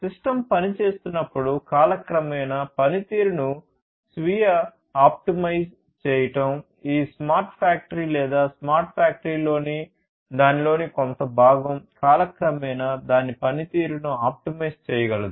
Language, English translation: Telugu, Self optimizing the performance over time when the system is performing, this smart factory or some component of it in a smart factory is able to optimize its performance over time